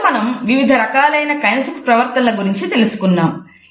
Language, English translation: Telugu, So, today we have discussed different types of kinesic behaviors